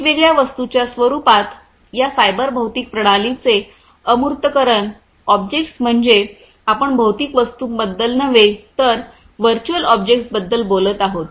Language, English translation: Marathi, The abstractions of these cyber physical systems in the form of different objects; objects means we are talking about virtual objects not the physical objects